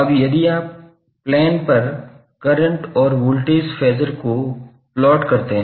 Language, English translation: Hindi, Now, if you plot the current and voltage Phasor on the plane